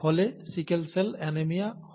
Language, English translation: Bengali, And that results in sickle cell anaemia